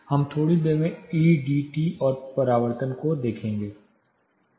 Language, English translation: Hindi, We will look at EDT and the reflections in a short while